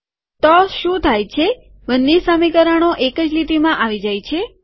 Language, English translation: Gujarati, Now what has happened is that both the equations have come on the same line